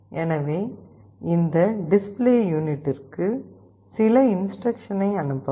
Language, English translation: Tamil, So, some instructions can also be written to this display unit